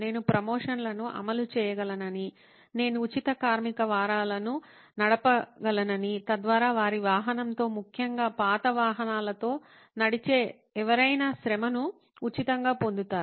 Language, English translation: Telugu, Well, he said I could run promotions, I could run free labour week so that anybody who walks in with their vehicle, old vehicles in particular, gets the labour for free